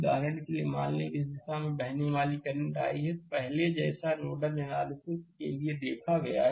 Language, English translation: Hindi, For example, say current flowing in this direction is i, then same as before for nodal analysis we have seen